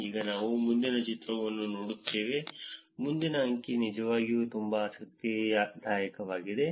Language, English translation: Kannada, Now we will see the next figure, next figure is actually very interesting